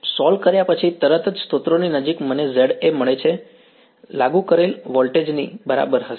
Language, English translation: Gujarati, Near the source right after solving I will get Za will be equal to the applied voltage